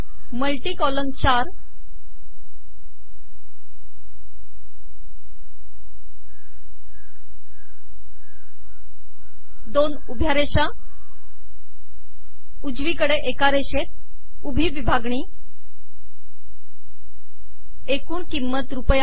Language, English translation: Marathi, Multi column four 2 vertical lines, right aligned vertical separator Total cost Rupees